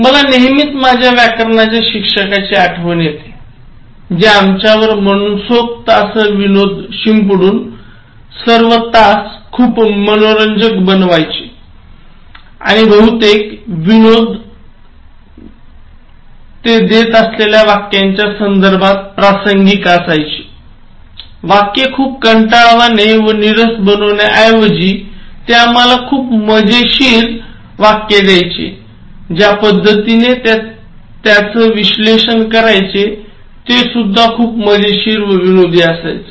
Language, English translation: Marathi, I always remember my grammar teacher, so who made the classes glamorous, okay, very scintillating, by sprinkling the classes with lot of humour; and most of the humour is relevant in terms of the sentence that he was giving, instead of making the sentence very boring and monotonous, he was giving us very funny sentences, the way we have analyzed, discussed were also very humourous